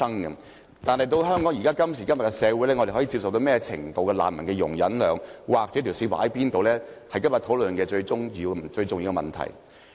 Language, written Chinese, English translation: Cantonese, 然而，今時今日的香港社會，我們對難民能有何種程度的容忍量，應把界線劃定在哪處，是今天這項討論的最重要課題。, Yet the most important question in the discussion today is what is our maximum tolerance of refugees in Hong Kong today and where exactly should the line be drawn?